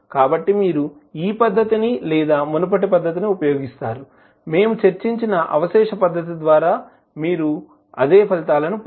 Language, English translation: Telugu, So, either you use this method or the previous method, which we discussed that is the residue method, you will get the same results